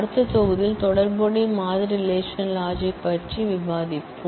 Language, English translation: Tamil, In the next module, we will discuss about the different operations of relational model relational logic